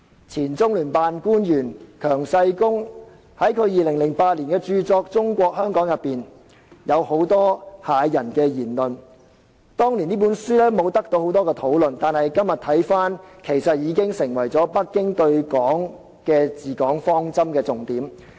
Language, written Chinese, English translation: Cantonese, 前中聯辦官員強世功在2008年發表有關中國香港的著作，當中有很多駭人言論，當年沒有太多人討論這本書，但今天相關言論已經成為北京對香港的治港方針。, QIANG Shigong a former official of the Liaison Office of the Central Peoples Government in the Hong Kong Special Administrative Region published a book on China Hong Kong in 2008 . While the astounding remarks raised in that book had not aroused much discussion at that time such remarks have now become Beijings guiding principles for ruling Hong Kong